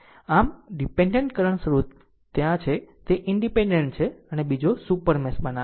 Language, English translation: Gujarati, So, dependent current source is there, it is independent creating another super mesh